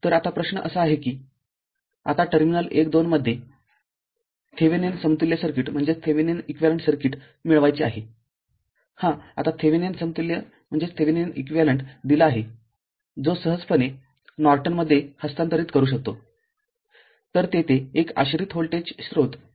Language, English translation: Marathi, So, now question is that here you have to obtain the Thevenin equivalent circuit in terminals 1 2 of the now it is a Thevenin equivalent is given from that you can easily transfer it to Norton